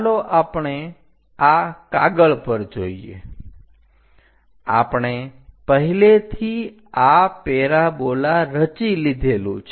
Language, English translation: Gujarati, Let us look at this sheet; we have already constructed the parabola this one